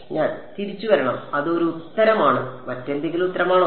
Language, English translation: Malayalam, I should come back that is one answer any other answer